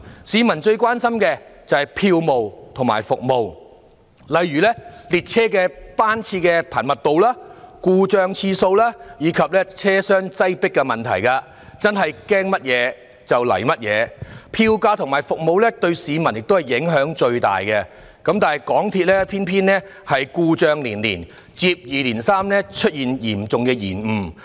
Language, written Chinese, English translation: Cantonese, 市民最關心的是票務和服務，例如列車班次的頻密度、故障次數及車廂擠迫等問題，真的是"驚乜就嚟乜"，票價和服務對市民影響最大，但港鐵卻故障連連，接二連三出現嚴重延誤。, Their worries often become real . The MTR fares and the train services often have the greatest impact on the public . But there has been a series of failure and serious delays with the MTR train services